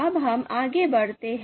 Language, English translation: Hindi, Now let us move forward